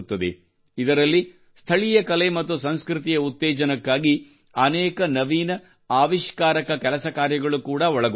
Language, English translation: Kannada, In this, many innovative endeavours are also undertaken to promote local art and culture